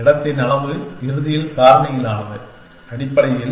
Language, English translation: Tamil, The size of the space is end factorial, essentially